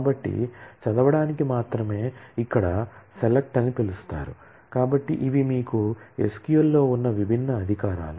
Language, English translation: Telugu, So, only thing is read is a called select here, so these are the different privileges that you have in a SQL